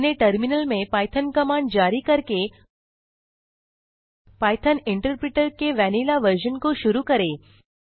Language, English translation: Hindi, Start the vanilla version of Python interpreter by issuing the command python in your terminal